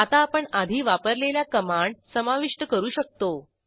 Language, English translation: Marathi, Now we can add the command which we used earlier